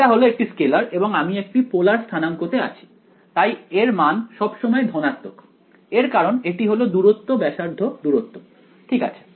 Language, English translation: Bengali, It is a scalar and what is; I’m in polar coordinates; so this value is always positive, it is because it is distance radial distance right